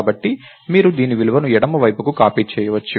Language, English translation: Telugu, So, you can copy the value of this to the left side